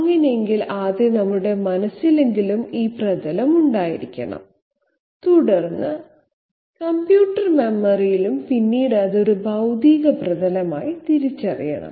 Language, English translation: Malayalam, In that case 1st of all we have to have this surface in some form at least in our minds and then into the computer memory and then afterwards realising it as a physical surface